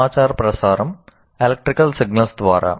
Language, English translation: Telugu, So the transmission of information is through electrical signals